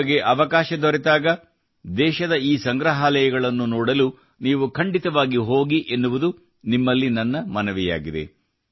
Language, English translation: Kannada, I urge you that whenever you get a chance, you must visit these museums in our country